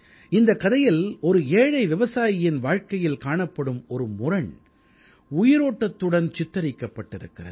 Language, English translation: Tamil, In this story, the living depiction of the paradoxes in a poor farmer's life is seen